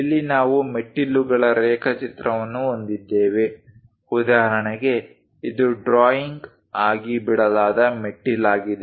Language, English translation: Kannada, Here we have a staircase drawing for example, this is the staircase given as a drawing